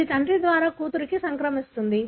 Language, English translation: Telugu, It can be transmitted by a father to a daughter